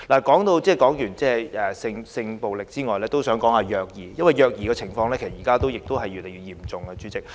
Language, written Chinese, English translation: Cantonese, 代理主席，除了性暴力之外，我還想談談虐兒，因為現時虐兒的情況越來越嚴重。, Deputy President apart from sexual violence I would also want to talk about child abuse because the problem of child abuse is getting serious